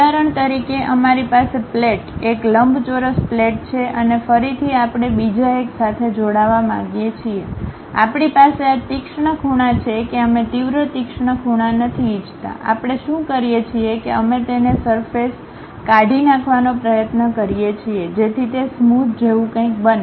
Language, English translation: Gujarati, For example, we have a plate, a rectangular plate and again we want to join by another one, we have this sharp corners we do not want that sharp corners, what we do is we try to remove that surface make it something like smooth